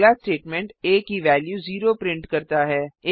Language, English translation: Hindi, The next statement prints as value as o